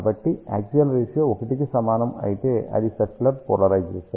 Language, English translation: Telugu, So, if axial ratio is equal to 1, then it is circular polarization